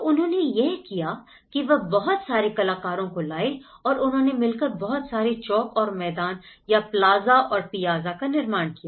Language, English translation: Hindi, So, what they did was, they brought a lot of artists, they develops lot of plazas and the piazzas